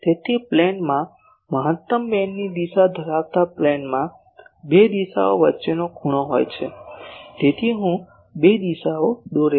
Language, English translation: Gujarati, So, in a plane containing the direction of maximum of a beam the angle between two directions, so I draw two directions